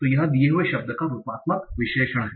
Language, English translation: Hindi, So this is morphological analysis of the given word